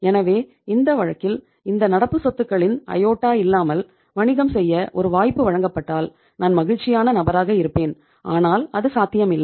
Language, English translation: Tamil, So in this case given a chance to do the business without iota of these current assets I would be happiest person but itís not possible